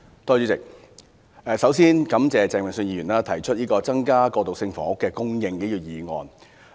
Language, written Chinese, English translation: Cantonese, 主席，首先感謝鄭泳舜議員提出"增加過渡性房屋供應"議案。, President first of all I am grateful to Mr Vincent CHENG for moving this motion on Increasing transitional housing supply